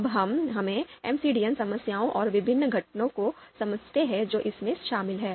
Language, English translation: Hindi, Now, let’s understand the MCDM problems and the various components that it comprises of